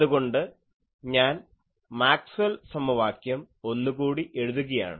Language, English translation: Malayalam, So, this is the generalized Maxwell’s equation